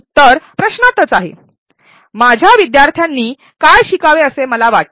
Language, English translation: Marathi, The answer lies in the question what do I want my learners to learn